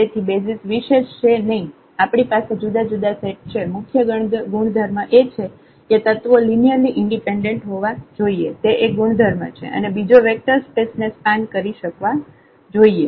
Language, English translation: Gujarati, So, basis are not unique we can have a different sets, the main properties are the elements must be linearly independent that is one property and the second one should be that they should span the whole vector space